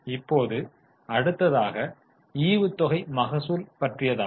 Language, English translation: Tamil, Now the next one is dividend yield